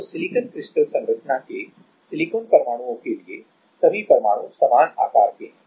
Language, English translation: Hindi, So, for silicon atoms for silicon crystal structure; all the atoms are of same size right